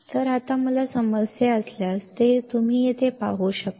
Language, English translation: Marathi, So, now if I have a problem, which you can see here